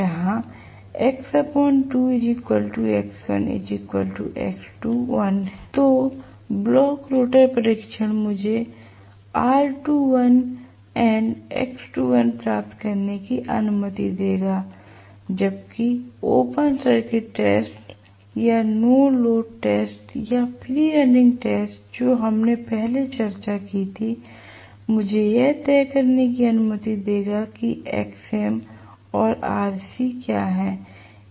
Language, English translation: Hindi, So, block rotor test will allow me to get r2 dash and x2 dash whereas the open circuit test or no load test or free running test which we discussed earlier will allow me to decide what is xm and rc